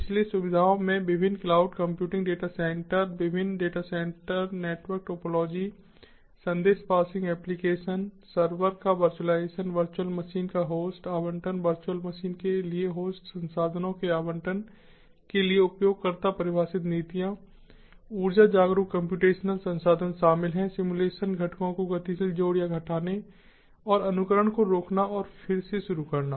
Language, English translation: Hindi, so features include various cloud computing data centers, different data center, network topologies, message passing applications, virtualization of server hosts, allocation of virtual machines, user defined policies for allocation of host resources to virtual machines, energy aware computational resources, dynamic addition or removal of simulation components and stop, stop and resumption of simulation